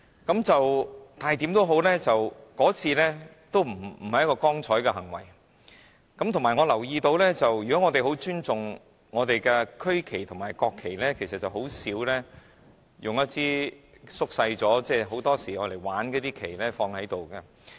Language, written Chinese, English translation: Cantonese, 無論如何，那不是光彩的行為，而且我留意到，如果我們很尊重我們的區旗和國旗，其實甚少會擺放縮小了的、通常只是作為玩意的旗子。, No matter what that was not an honourable act . Moreover I have noticed that if we greatly respect our regional and national flags we would seldom display flags of a reduced size which are usually treated as mere toys